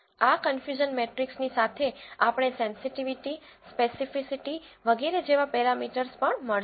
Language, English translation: Gujarati, Along with this confusion matrix, we will also get a lot of parameters such as sensitivity, speci city, etcetera